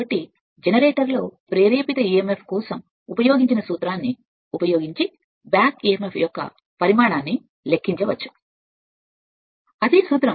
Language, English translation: Telugu, So, that is why the magnitude of back emf can be calculated by using formula for the induced emf generator